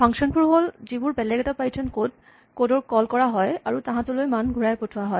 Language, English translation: Assamese, These are functions, which are called from other pieces of python code and return values to them